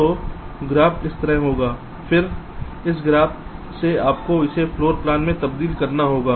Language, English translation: Hindi, then, from this graph, you will have to translate it into a floor plan